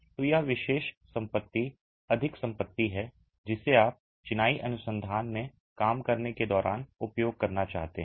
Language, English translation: Hindi, So, this particular property is more a property that you might want to use when you are working in masonry research